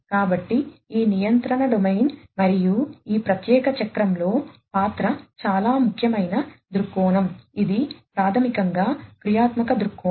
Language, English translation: Telugu, So, this control domain and it is role in this particular cycle is a very important viewpoint, which is basically the functional viewpoint